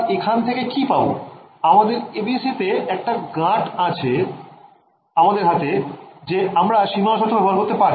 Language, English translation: Bengali, In our in our ABC what is the one knob we have in our hand to impose the boundary condition